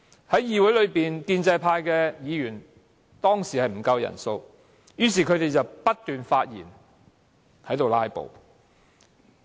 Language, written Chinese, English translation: Cantonese, 當時議會內建制派議員人數不足，他們便不斷發言"拉布"。, During a Council meeting back then the pro - establishment Members spoke incessantly to filibuster as their numbers were insufficient in the Chamber